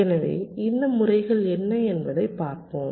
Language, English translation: Tamil, ok, all right, so lets look at these methods, so what they are